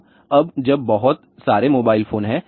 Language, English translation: Hindi, So, now when there are too many mobile phones are there